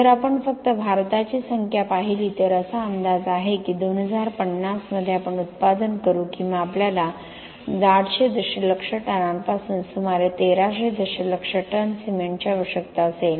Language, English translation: Marathi, If we look at the numbers for India alone, it is projected that in 2050 we will be producing or we will be needing anything from 800 million tons to about 1300 million tons of cement